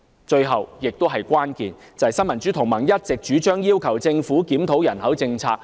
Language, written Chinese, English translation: Cantonese, 最後，也是最關鍵的問題，就是新民主同盟一直主張要求政府檢討人口政策。, Last but not least the most crucial issue is the need to have a review of the population policy which the Neo Democrats has all along been urging the Government to do